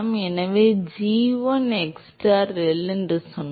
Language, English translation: Tamil, So, we said g1 xstar ReL